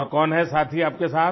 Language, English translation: Hindi, Who else is there with you